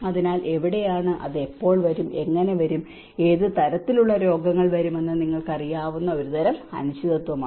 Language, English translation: Malayalam, So, that is where and it is a kind of uncertainty you know when it will come and how it will come and what kind of diseases it will come